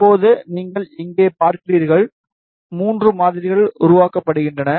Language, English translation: Tamil, Now, you see here, three samples are created